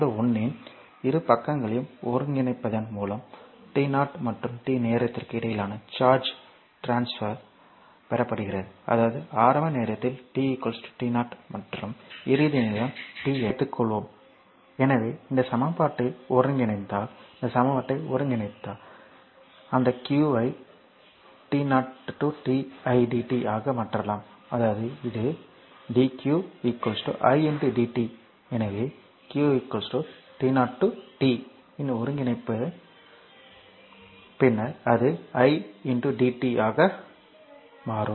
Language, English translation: Tamil, So, the charge transfer between the time t 0 and t is obtain by integrating both side of equation 1 we get; that means, suppose at initial time t is equal to t 0 and your final time is t, then if you integrate this equation if you get this equation therefore, that q can be made that is equal to t 0 to t idt ; that means, this one of you come that your dq is equal to i into dt, therefore q is equal to integral of t 0 to t then idt